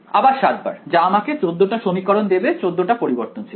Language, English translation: Bengali, Again 7 times that I will get 14 equations in 14 variables